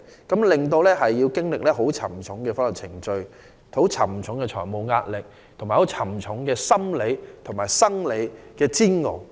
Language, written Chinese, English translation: Cantonese, 僱員需經歷沉重的程序、承擔沉重的財務壓力和沉重的身心煎熬。, Employees have to go through cumbersome procedures bear immense financial pressure and withstand stressful mental and physical ordeals